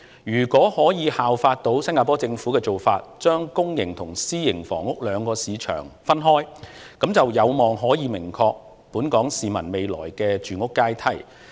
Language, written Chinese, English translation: Cantonese, 如果可以效法新加坡政府的做法，把公營及私營房屋兩個市場分開，就有望令本港市民未來的住屋階梯更明確。, If we can follow the measure of segregating public housing and private housing into two markets adopted by the Singaporean Government we can expect to see more distinct housing ladders for the Hong Kong public in the future